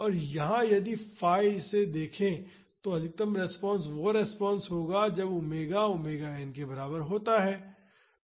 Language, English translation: Hindi, And, here if phi, look at it, the maximum response that is resonance occurs when omega is equal to omega n